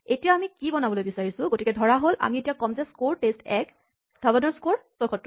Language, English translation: Assamese, And now we want to create keys, so suppose we will say score test 1, Dhawan equal to 76